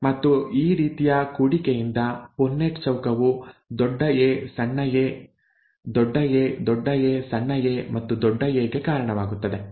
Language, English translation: Kannada, And a Punnett square from this kind of a cross would result in capital A small a, capital A, capital A small a and capital A